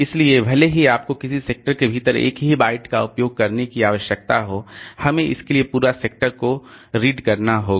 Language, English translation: Hindi, So, even if you need to access a single byte within a sector, we have to read the entire sector for that